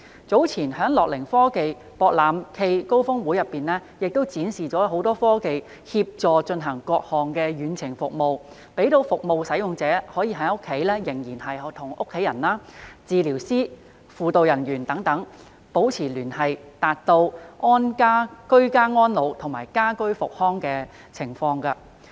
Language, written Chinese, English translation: Cantonese, 早前樂齡科技博覽暨高峰會展示了多項科技，以協助進行各項遠程服務，讓服務使用者安在家中仍能與家人、治療師、輔導人員等保持聯繫，達致居家安老及家居復康的目標。, Earlier the Gerontech and Innovation Expo cum Summit showcased many technologies that facilitate the provision of various remote services . They enable the service users to communicate with their family members therapists counsellors etc . while at home thereby achieving the objectives of ageing in place and home rehabilitation